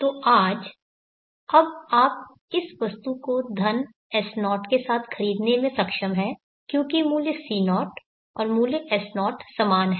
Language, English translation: Hindi, So today now you are able to buy this item with money S0, because the value C0 and value S0 are same